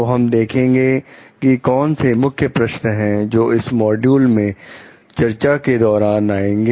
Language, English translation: Hindi, So, let us see: what are the key questions that we are going to discuss in this module